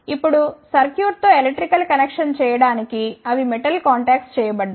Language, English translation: Telugu, Now, to make the electrical connection with the circuit, they metal contacts have been made